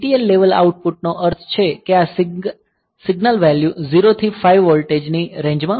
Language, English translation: Gujarati, So, TTL level output means; so, this signal values are in the range of 0 to 5 volt